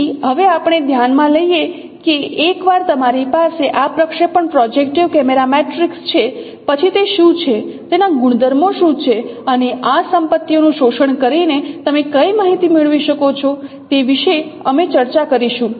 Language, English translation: Gujarati, So let me now consider that once you have this projection projective camera matrix then then what are the properties and what are the information that you can get by exploiting these properties